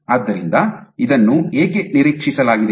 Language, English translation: Kannada, So, why is this expected